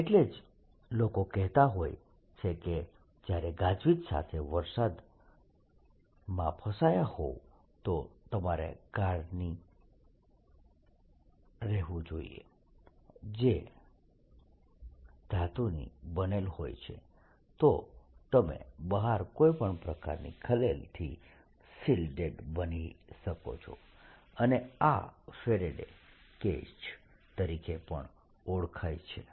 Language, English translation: Gujarati, people also say sometimes when, if, if you are caught on a thunder storm, go inside a car which is made of metal, then you will be shelled it in any distributors outside and this is also known as faraday's cage